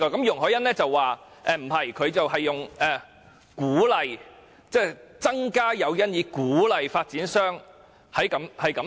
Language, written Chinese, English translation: Cantonese, 容海恩議員則建議"增加誘因以鼓勵發展商"進行此事。, And Ms YUNG Hoi - yan instead proposes to introduce additional incentives to encourage developers to do so